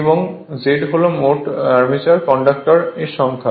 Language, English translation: Bengali, And Z total number of armature conductors right